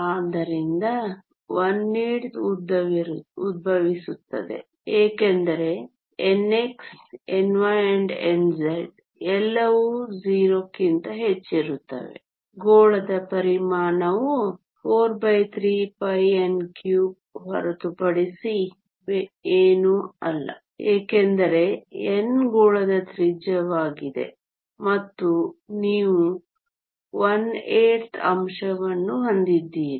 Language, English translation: Kannada, So, the one eighth arises because n x, n y and n z are all greater than 0 volume of the sphere is nothing but 4 by 3 pi n cube since n is the radius of the sphere and you have the factor one eighth